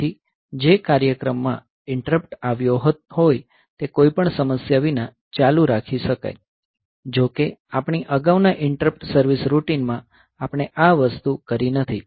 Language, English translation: Gujarati, So that the program which got interrupted will be able to continue without any problem; so though in our previous interrupt service routine, so we have not done this thing